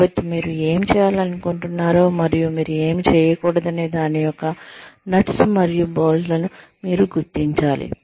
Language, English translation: Telugu, So, you must identify, the nuts and bolts of, what you like to do, and what you do not like to do